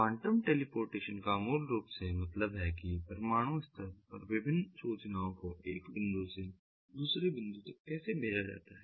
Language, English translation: Hindi, quantum teleportation basically means that how ah the different information at the atomic level is sent from one point to another, so is transported from one point to another at the atomic level